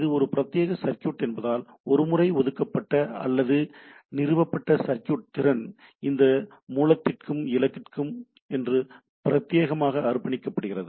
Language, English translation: Tamil, So it is not, as it is a dedicated circuit the circuit capacity once allocated or once established, are dedicated for this source and destination